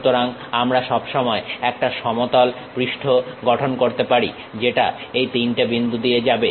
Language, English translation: Bengali, So, we can always construct a plane surface which is passing through these three points